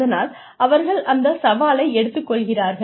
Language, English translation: Tamil, And, they take that challenge